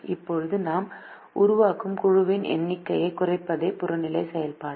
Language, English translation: Tamil, now the objective function will be to minimize the number of group that we form